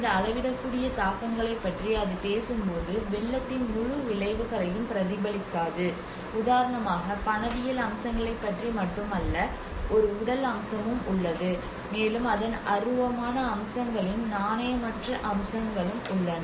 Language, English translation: Tamil, And when it talks about these quantifiable impacts, do not reflect the entire effects of flooding you know that like, for instance, there is not only about the monetary aspects, there is a physical aspect, and there is also to do with the non monetary aspects of the intangible aspects of it